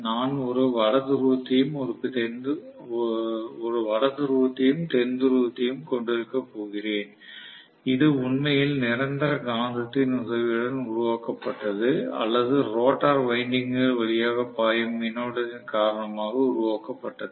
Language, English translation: Tamil, I am going to have a North Pole and South Pole which is actually created either with the help of the permanent magnet or because of the current flowing through the rotor windings